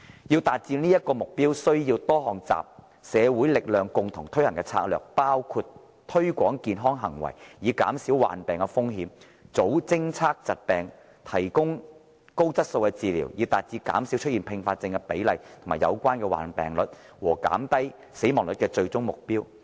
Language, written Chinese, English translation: Cantonese, 要達致這個目標，需要多項集社會力量共同推行的策略，包括推廣健康行為以減少患病的風險、早偵測疾病，以及提供高質素的治理，以達致減少出現併發症的比例和有關的患病率，以及減低死亡率的最終目標。, This involves a variety of strategies across society including the promotion of healthy behaviour to reduce the risk of diseases detect diseases early and provide high quality management with the ultimate goal of reducing the incidence of complications and associated morbidities and mortality